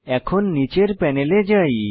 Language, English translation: Bengali, Now lets move to the panel below